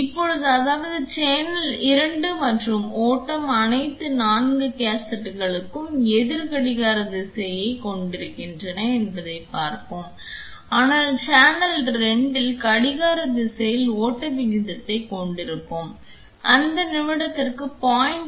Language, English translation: Tamil, Now, let us see I mean channel 2 and the flow all the 4 cassettes had anti clockwise direction, but then in channel 2 let us have flow rate in the clockwise direction and it is running at 0